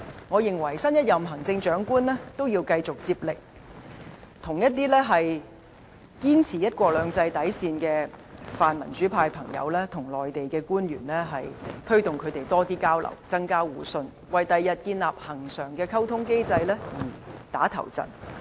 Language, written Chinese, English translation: Cantonese, 我認為新一任行政長官也要繼續接力，促成一些堅持"一國兩制"底線的泛民主派朋友與內地官員加強交流，增強互信，為日後建立恆常的溝通機制"打頭陣"。, I believe the next Chief Executive should carry this on and enhance communication between those in the pan - democratic camp who maintain the bottom line of one country two systems and officials in the Mainland so as to enhance mutual - trust and pave the way for establishing a permanent communication mechanism in the future